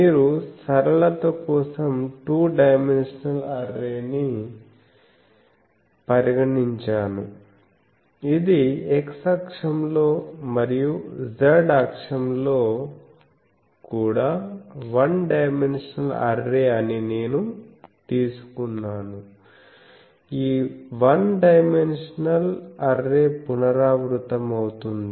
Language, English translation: Telugu, So, you see a two dimensional array for the simplicity, I have taken that it is a one dimensional array in x axis and also in the z axis, this one dimensional array is repeated